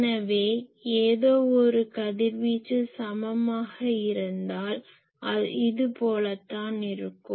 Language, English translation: Tamil, So, if anything radiates equally in here , this will be this